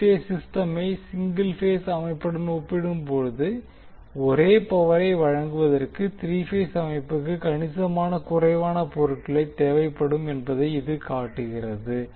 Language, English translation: Tamil, So this shows that incase of three phase system, we need considerably less material to deliver the same power when we compare with the three phase system and the single phase system